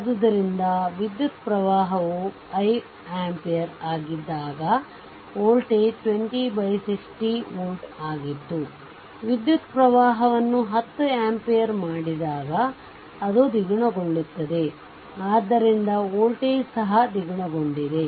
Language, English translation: Kannada, So, it was 20 by 60 volt when current was 5 ampere, i is equal to 5 ampere, when i was made 10 that is doubled so voltage also had became doubled